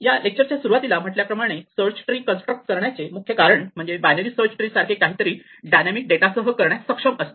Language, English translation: Marathi, As we mentioned that the beginning of this lecture, one of the main reasons to construct a search tree is to be able to do something like binary search and this is with dynamic data